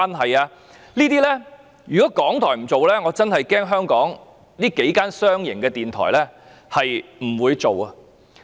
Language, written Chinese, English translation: Cantonese, 這些節目如果港台不做，我恐怕香港數間商營電台也不會做。, If RTHK does not produce these programmes I am afraid none of the several commercial television stations in Hong Kong will